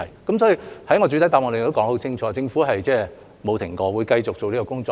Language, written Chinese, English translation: Cantonese, 所以，在我的主體答覆中說得很清楚，政府沒有停止過，會繼續做這個工作。, This is why I have made it very clear in my main reply that the Government has never stopped and will continue with this effort